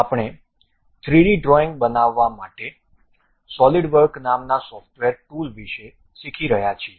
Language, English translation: Gujarati, We are learning about a software tool named Solidworks to construct 3D drawings